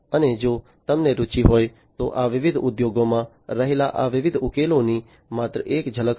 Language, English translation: Gujarati, And if you are interested this was just a glimpse a highlight of these different solutions that are there in the different industries